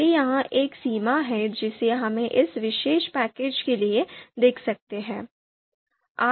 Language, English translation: Hindi, So that is one limitation that we can see for this particular package